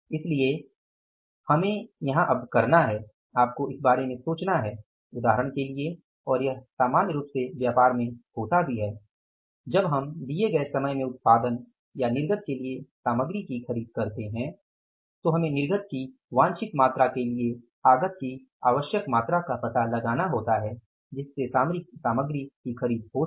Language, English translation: Hindi, So, here what you have to do that you have to think about that for example and it normally happens also in the businesses that when we go for purchasing of the material for the production or output in the given period of time, so we will have to find out that say input requirement, purchase of the material for the production or output in the given period of time